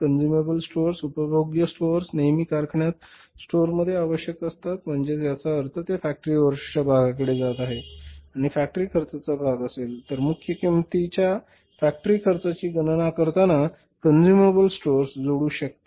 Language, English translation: Marathi, Consumable stores, consumable stores are always required in the factory, stores, consumable stores are always required in the factory, so it means it is going to be the part of the factory overheads and will be the part of the factory cost